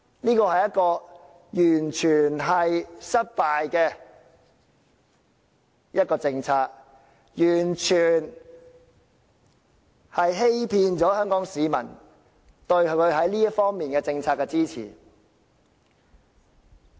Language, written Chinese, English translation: Cantonese, 這是完全失敗的政策，政府完全騙取了香港市民對它在這方面的政策的支持。, This policy is a complete failure . The Government has entirely cheated Hongkongers of their support for its policy in this respect